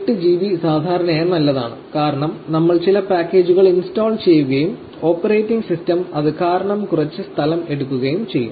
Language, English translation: Malayalam, 8 GB is usually good, since we will be installing some packages and the operating system itself take some space